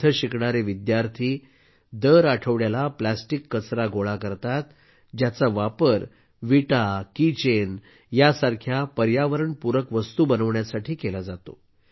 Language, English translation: Marathi, The students studying here collect plastic waste every week, which is used in making items like ecofriendly bricks and key chains